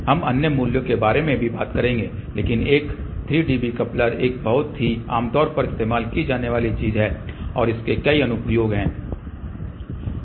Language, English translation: Hindi, We will also talk about other values, but a 3 dB coupler is a very very commonly use thing and it has many application